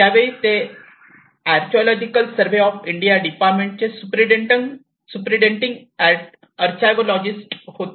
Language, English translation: Marathi, That time he was a superintending archaeologist in the Archaeological Survey of India